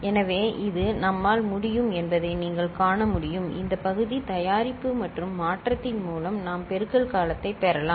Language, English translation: Tamil, So, this is the way we can see that you know we can through this partial product and shift we can get the multiplication term